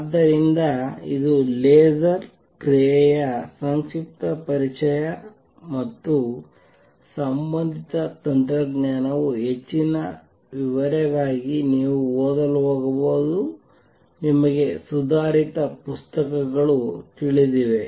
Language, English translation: Kannada, So, this is a brief introduction to the laser action and the related technology right for more details you may going to read you know advanced books